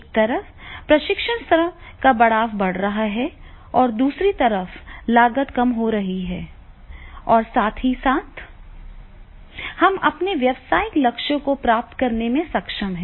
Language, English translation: Hindi, So therefore we see that is on one side the the effectiveness of the training is increasing, other side the cost is reducing and simultaneously at the same time we are able to achieve our business goals